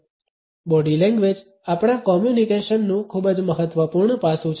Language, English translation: Gujarati, Body language is a very significant aspect of our communication